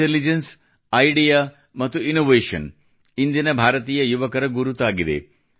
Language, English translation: Kannada, 'Intelligence, Idea and Innovation'is the hallmark of Indian youth today